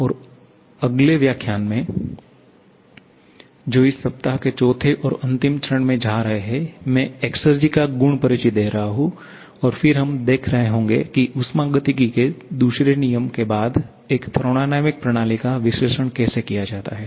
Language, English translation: Hindi, And in the next lecture, which is going to fourth and last one for this week, I shall be introducing the property exergy and then we shall be seeing how to analyze a thermodynamic system following the second law of thermodynamics based upon the exergy approach